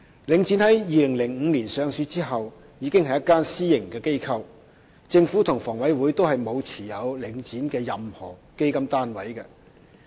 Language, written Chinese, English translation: Cantonese, 領展於2005年上市後，已是一間私營機構，政府及房委會並沒有持有領展的任何基金單位。, Link REIT has been a private organization since its listing in 2005 . The Government and HA do not hold any fund unit of Link REIT